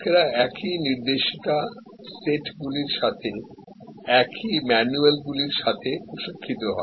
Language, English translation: Bengali, India people are trained with the same manuals with the same instruction sets